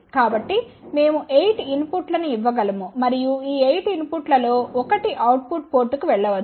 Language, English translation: Telugu, So, we can give 8 inputs and one of these 8 input can go to the output port